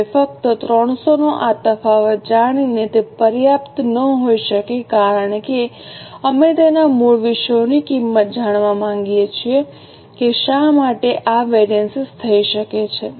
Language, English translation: Gujarati, Now, just by knowing this difference of 300 may not be enough because we would like to know the cause, we would like to know the origin as to why this variance has happened